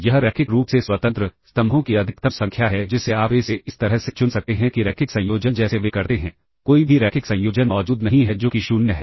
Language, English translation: Hindi, That is the maximum number of linearly independent, maximum number of columns that you can choose from A such that the linear combination such that they do, does not exist any linear combination which is 0